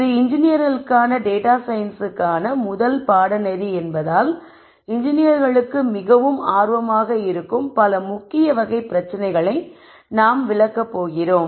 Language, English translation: Tamil, Since this is a first course on data science for engineers we going to cover major categories of problems that are of most interest to engineers